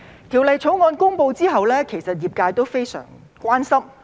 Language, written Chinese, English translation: Cantonese, 《條例草案》公布後，其實業界非常關心。, After the publication of the Bill the profession has in fact been very concerned about it